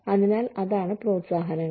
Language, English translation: Malayalam, So, that is what, incentives are